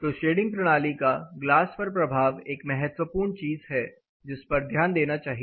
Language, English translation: Hindi, So, the effect of this particular shading system on the glass is another crucial thing, which needs to be accounted